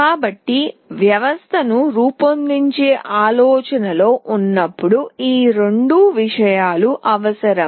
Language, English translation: Telugu, So, when we think of designing a system these two things are required